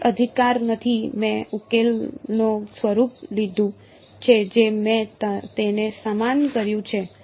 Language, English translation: Gujarati, No right I took the form of the solution I equated it